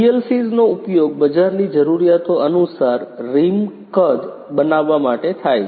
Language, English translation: Gujarati, PLCs are used to make the rim size according to the market requirements